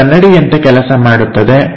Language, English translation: Kannada, So, it acts like a mirror